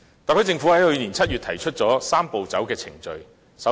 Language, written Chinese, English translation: Cantonese, 特區政府在去年7月提出了"三步走"的程序。, The Hong Kong Special Administrative Region HKSAR Government put forward the Three - step Process proposal in July last year